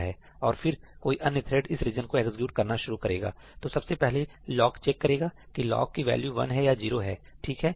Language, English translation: Hindi, And then, if any other thread wants to start executing this region, it first checks this lock whether it is 1 or 0